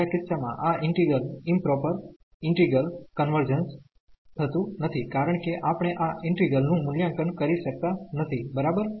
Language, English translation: Gujarati, In the second case this integral the improper integral does not converge because we cannot evaluate this integral, ok